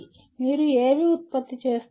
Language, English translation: Telugu, What do you generate